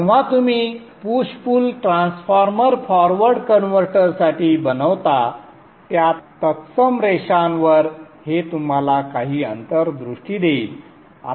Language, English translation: Marathi, And this would give you some insight when you are making the push pull transformer along similar lines which you did for the forward converter